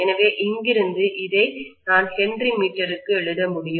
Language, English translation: Tamil, So from here, I should be able to write this as Henry per meter